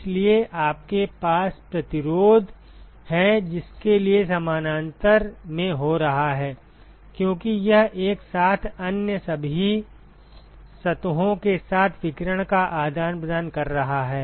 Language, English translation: Hindi, Therefore, you have resistance for which are occurring in parallel, because it is simultaneously exchanging radiation with all other surfaces